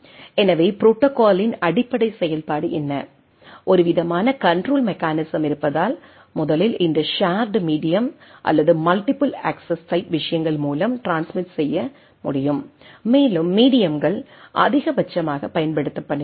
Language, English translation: Tamil, So, what is the basic function of the protocol, that there is a some sort of a controlling mechanism so that, it can first of all it can transmit through this shared media or multiple access type of things and the media is maximally used